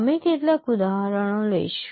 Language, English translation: Gujarati, We will take some examples